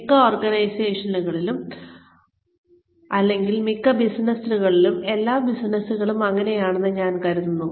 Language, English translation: Malayalam, Most organizations, or most businesses, I think, all businesses are